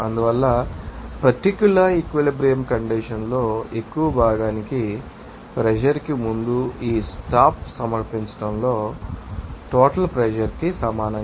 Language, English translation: Telugu, That is why the submission of this stop before pressure into more fraction at that particular equilibrium condition will be equals to you know total pressure